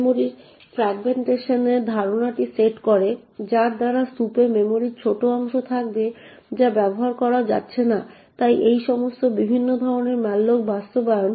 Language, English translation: Bengali, The concept of fragmentation of the memory sets in by which there will be tiny chunks of memory in the heap which is not going to be used, so all of these different types of malloc implementations